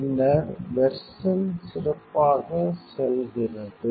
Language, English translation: Tamil, Later the version goes better